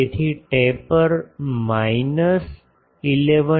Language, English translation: Gujarati, So, taper is minus 11